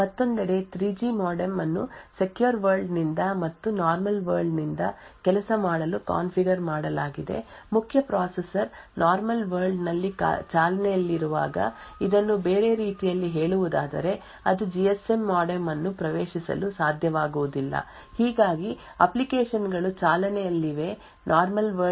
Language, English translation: Kannada, On the other hand the 3G modem is configured to work both from the secure world as well as the normal world putting this in other words when the main processor is running in the normal world it will not be able to access the GSM modem thus applications running in the normal world would not be able to even see that the GSM modem is present in the SOC and no communication to the GSM modem is possible